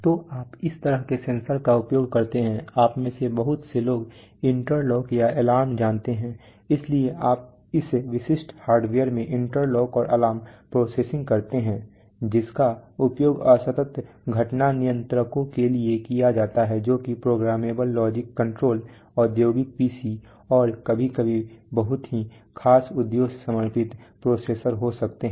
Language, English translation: Hindi, So you use this kind of sensors, you have lot of you know interlock or alarms, so you do interlock and alarm processing in this typical hardware, which is used for discrete event controllers are programmable logic controller, sometimes industrial PC’s, and sometimes could be very special purpose dedicated processors right